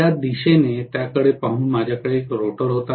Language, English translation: Marathi, Rather looking at it in this direction, I had a rotor here